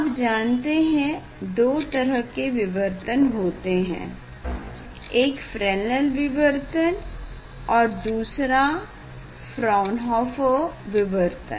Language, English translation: Hindi, this type of diffraction there are 2 types of diffraction, one is Fresnel diffraction, another is Fraunhofer diffraction